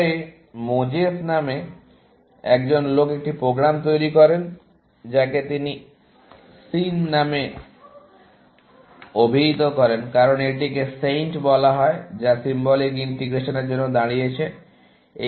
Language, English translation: Bengali, Later, a guy called Moses developed a program, which he called as SIN, because this was called SAINT; which stands for Symbolic Integration